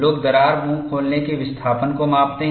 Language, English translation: Hindi, People measure the crack mouth opening displacement